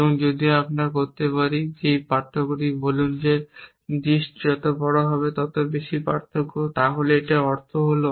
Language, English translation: Bengali, And if we can now, order this difference say the larger the dist the more the difference then the here means